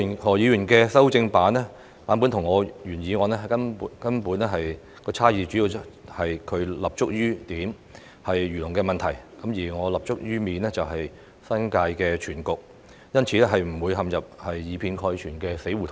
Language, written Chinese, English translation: Cantonese, 何議員的修正版本與我的原議案的根本差異，主要在於他立足於點，即漁農的問題，而我則立足於面，即新界全局，因此不會陷入以偏概全的死胡同中。, As regards the basic difference between Mr HOs amendment and my original motion his focus is on the issue of agriculture and fisheries while I am looking from the wider perspective of the New Territories as a whole . Therefore we will not be caught in the blind alley of overgeneralization